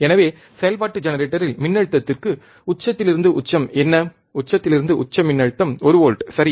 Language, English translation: Tamil, So, we have seen in function generator what was the peak to peak voltage, peak to peak voltage was one volt, right